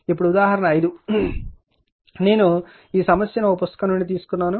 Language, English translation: Telugu, Now, example 5 there this problem I have taken from one book